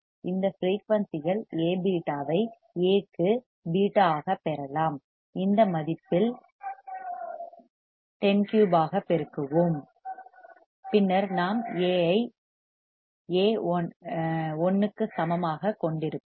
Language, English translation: Tamil, At this frequency, A beta can be obtained as A into beta, we will multiply at this value which is 10 to the power 3, 10 to the power 3 right, then we will have A beta equal to 1